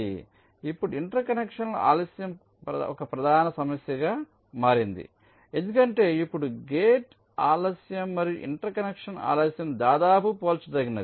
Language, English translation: Telugu, so now interconnection delay has become a major issue because now the gate delays and the interconnection delays are almost becoming becoming comparable